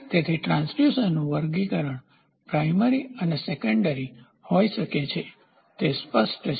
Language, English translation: Gujarati, So, classification of transducer can be primary and secondary, is it clear